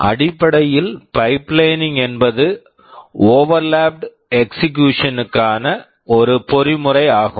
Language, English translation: Tamil, Basically pipelining is a mechanism for overlapped execution